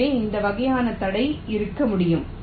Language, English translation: Tamil, so this kind of a constraint can be there